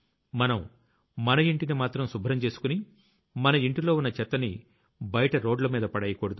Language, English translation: Telugu, It should not be that we clean our house, but the dirt of our house reaches outside, on our roads